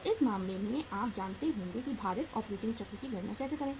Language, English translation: Hindi, So in this case you will be knowing that how to calculate the weighted operating cycle